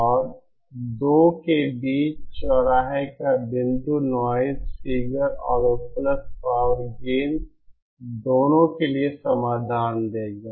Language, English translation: Hindi, And the point of intersection between the 2 will give the solution for both the noise figure and the available power gain